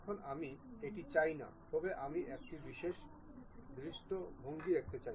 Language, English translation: Bengali, Now, I do not want that, but I would like to see one of this particular view